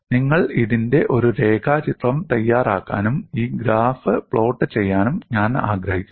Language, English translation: Malayalam, I have taken a simple example, I would like you to make a neat sketch of it and also plot this graph